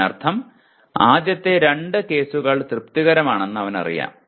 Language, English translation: Malayalam, This means he knows, the first two are satisfied